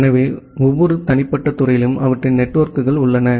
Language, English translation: Tamil, So, every individual department have their networks